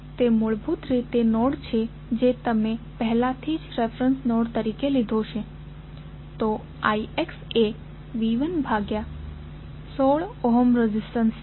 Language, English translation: Gujarati, That is basically the node you have already taken as a reference node, so the I X would be V 1 divided by the 16 ohm resistance, so V 1 by 16 is I X